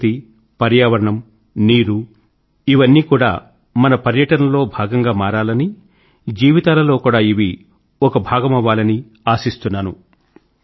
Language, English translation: Telugu, Nature, environment, water all these things should not only be part of our tourism they should also be a part of our lives